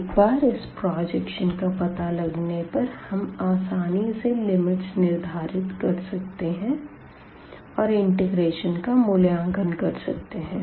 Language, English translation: Hindi, Once we have that projection, if we identify that projection putting the limits will be will be much easier and we can compute the integral